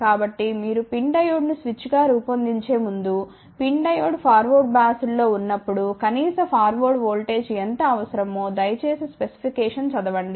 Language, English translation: Telugu, So, before you design PIN Diode as a switch, please read the specification what is the minimum forward voltage required